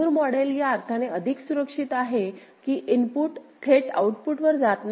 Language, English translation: Marathi, Moore model is safer in the sense that the input does not directly go to the output